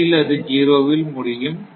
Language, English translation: Tamil, So, that is 0